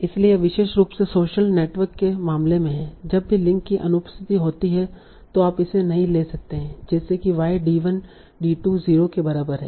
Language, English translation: Hindi, So that is especially in the case of social networks, whenever there is an absence of link, you cannot take it as if Y D1D2 is equal to 0